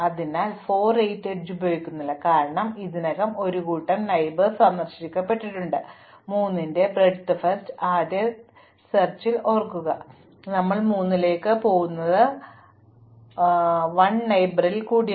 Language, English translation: Malayalam, Likewise, we do not use the edge 4, 8, because it is already visited as a set of neighbors of 3, remember in breadth first search we will go to 3 and explore all its 1 step neighbors